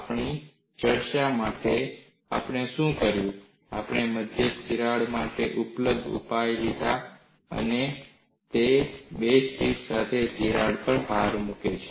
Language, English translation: Gujarati, For our discussion, what we did was, we took the available solution for a central crack and it is emphasized crack with two tips